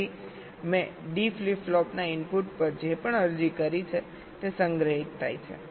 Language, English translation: Gujarati, so whatever i have applied to the input of the d flip flop, that gets stored